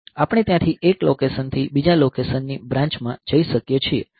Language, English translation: Gujarati, So, we can go from one location to another location branch from there